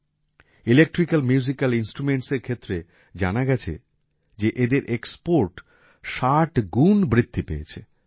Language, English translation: Bengali, Talking about Electrical Musical Instruments; their export has increased 60 times